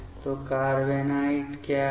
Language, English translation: Hindi, So, what is carbenoid